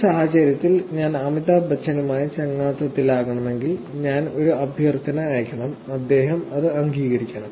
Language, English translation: Malayalam, In this case, if I were to be friends with Amitabh Bachchan, I have to send a request and he has to actually accept it, that is bidirectional